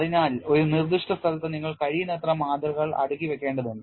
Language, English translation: Malayalam, So, you need to stack as many specimens as possible in a given area